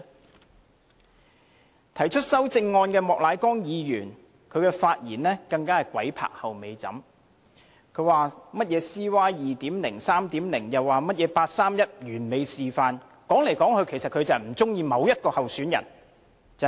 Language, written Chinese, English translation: Cantonese, 至於提出修正案的莫乃光議員，他的發言更是"鬼拍後尾枕"，他說甚麼 CY 2.0、3.0， 甚麼八三一完美示範，理由只是他不喜歡某位候選人。, Mr Charles Peter MOK who has proposed an amendment has even made a Freudian slip in his speech . The only reason for him to talk about CY 2.0 CY 3.0 and the perfect showcase of the 31 August Decision is that he does not favour one particular candidate